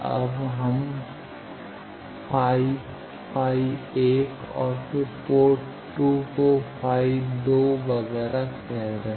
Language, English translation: Hindi, Now, we are calling phi, phi 1 then port 2 by phi two, etcetera